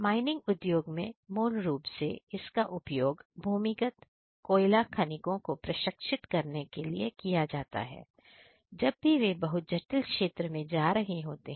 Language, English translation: Hindi, In mining industry basically it is used to train the underground coal miners, whenever they are going to a very complex area